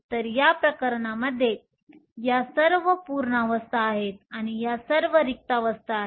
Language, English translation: Marathi, So, In this case, these are all the full states and these are all the empty states